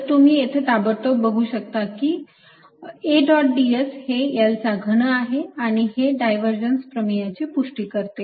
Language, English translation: Marathi, so you can see immediately that a dot d s is indeed l cubed and that confirms this divergence theorem